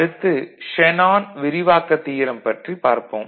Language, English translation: Tamil, And we shall also have a look at Shanon’s expansion theorem